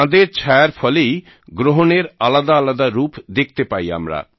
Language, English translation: Bengali, Due to the shadow of the moon, we get to see the various forms of solar eclipse